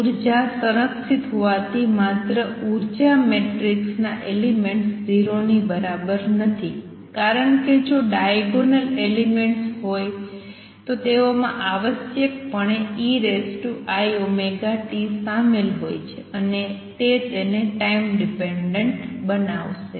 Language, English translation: Gujarati, Since energy is conserved only diagonal elements of energy matrix are not equal to 0, because if there were diagonal elements they will necessarily involve e raise to i omega t and that would make a time dependent